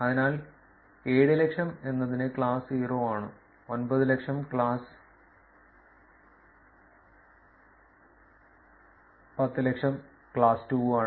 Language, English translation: Malayalam, So, for the state 700,000 is for class 0; 900,000 are for class 100,000 is for class 2